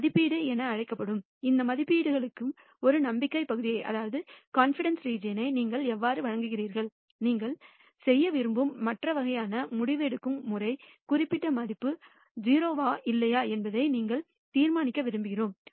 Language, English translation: Tamil, And how do you give a confidence region for these estimates that is called estimation and the other kind of decision making that we want to do is; we want to judge whether particular value is 0 or not